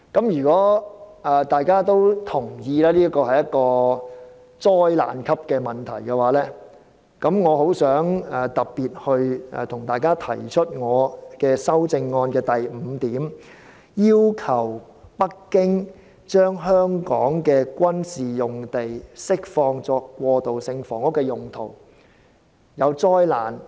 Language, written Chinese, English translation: Cantonese, 如果議員同意這是災難級的問題，那麼我特別請大家支持我的修正案第五點："要求北京政府將香港的軍事用地釋放作過渡性房屋的用途"。, If Members agree that the problem is catastrophic then I would like to ask you to support my amendment item 5 in particular that is to request the Beijing Government to release the military sites in Hong Kong for transitional housing purpose